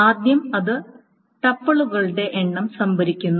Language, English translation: Malayalam, First, it stores the number of tuples